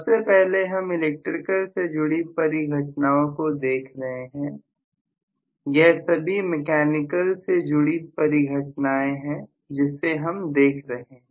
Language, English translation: Hindi, So we are looking at first of all only the electrical phenomena, all these are already involved mechanical phenomena what we are looking at